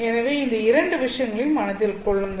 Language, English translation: Tamil, So please keep in mind these two things